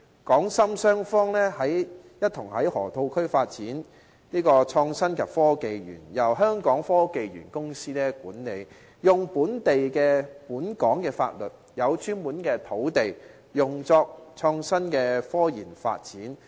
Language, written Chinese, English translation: Cantonese, 港深雙方一同在河套區發展"港深創新及科技園"，後者由香港科技園公司管理，使用本港法律，有專門土地用作創新科研發展。, Hong Kong and Shenzhen will join hands to develop the Hong Kong - Shenzhen Innovation and Technology Park which will be managed under the Hong Kong Science and Technology Parks Corporation and placed under Hong Kong laws on land earmarked for innovation and scientific research development